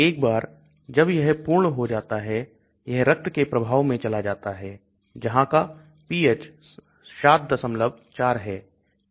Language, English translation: Hindi, Once that is done the drug goes into the blood stream where the pH is 7